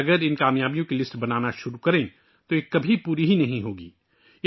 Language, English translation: Urdu, If we start making a list of these achievements, it can never be completed